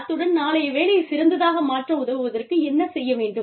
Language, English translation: Tamil, And, what needs to be done, in order to help tomorrow, become better